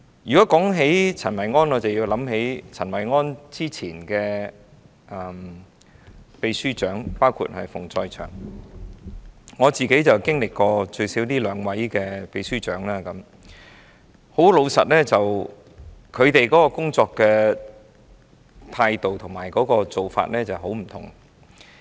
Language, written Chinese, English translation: Cantonese, 提及陳維安，我們便想起他前任的秘書長，包括馮載祥，我最少經歷了這兩任秘書長，老實說，他們的工作態度和作風很不同。, Talking about the incumbent Secretary General Kenneth CHEN it reminds us of his predecessors including Ricky FUNG . I have at least worked with two Secretary Generals . Honestly their work ethics and style are very different